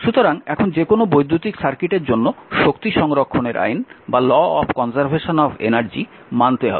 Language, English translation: Bengali, So, now for any electric circuit law of conservation of energy must be obeyed right